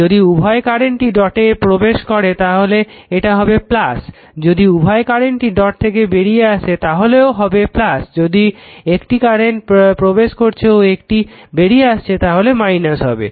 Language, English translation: Bengali, If both current enters the dot it will be plus sign if both current will leave that dot there also it will be plus sign if one current entering the your dot and leaving the dot they it will be negative sign right